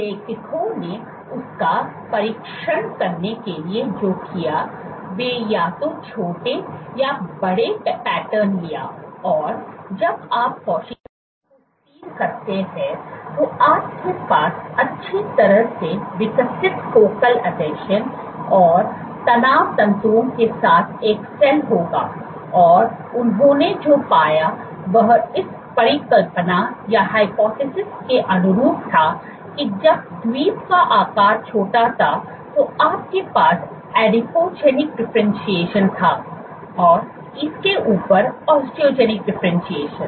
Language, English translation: Hindi, To test what the authors did was they took patterns either small or large this is, so that when you seed the cells, you would have a cell with well developed focal adhesions and stress fibers and what they found was again consistent with the hypothesis at this small, when the Island size was small you had a Adipogenic differentiation and on this Osteogenic differentiation